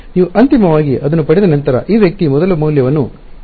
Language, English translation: Kannada, Once you get it finally, this guy absorbs a number one value